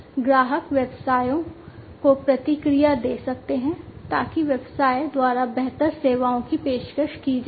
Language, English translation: Hindi, The customers can provide feedback to the businesses, so that the improved services can be offered by the business